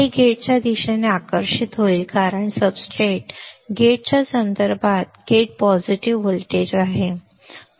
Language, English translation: Marathi, It will get attracted towards the gate because gate is positive with respect to substrate right with respect to substrate gate is positive voltage